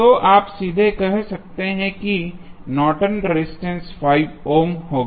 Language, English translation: Hindi, So, you can straight away say that the Norton's resistance would be 5 ohm